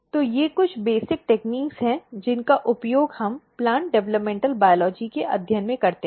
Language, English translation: Hindi, So, these are the few basic techniques that we use in the study of plant developmental biology